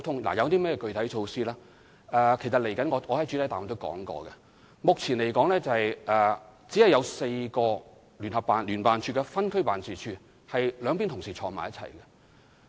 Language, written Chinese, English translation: Cantonese, 至於具體措施，正如我在主體答覆中指出，目前在所有分區辦事處中，只有4個辦事處有兩大職系同事一起工作。, As for specific measures as I stated in my main reply among all the offices in various districts only four offices have JO staff of the two departments working together